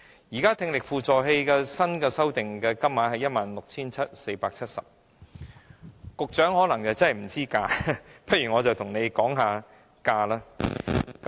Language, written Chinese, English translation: Cantonese, 現時聽力輔助器的新修訂金額為 16,470 元，局長可能不知價格，不如我便跟局長說說價格。, The revised subsidy for the device is now 16,470 . The Secretary may not be aware of the price . Let me talk about the price